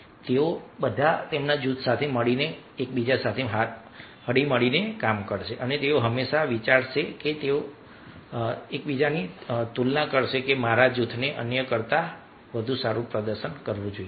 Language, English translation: Gujarati, so they all will be working together for their group and always they will think and compare that my group should be performed better than others